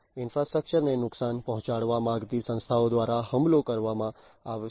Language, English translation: Gujarati, Attacks will be performed by entities, which want to harm, which want to make some harm to the infrastructure